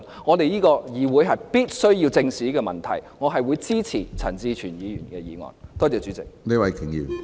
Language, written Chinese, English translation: Cantonese, 我希望稍後會有時間再就這個議題，與陳志全議員或其他朋友再討論。, It is my hope that we will have time to further discuss this issue with Mr CHAN Chi - chuen or others later